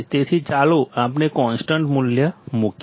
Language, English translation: Gujarati, So, let us put the constant value